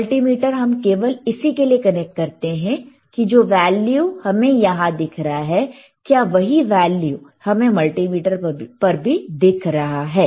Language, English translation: Hindi, mMultimeter is connected to just to say that, whatever the value we are looking at hehere, is it similar to what we are looking at the multimeter